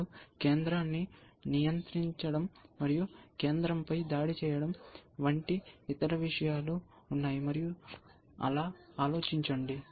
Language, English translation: Telugu, And there are other things like controlling the center, and attacking the center, and think like that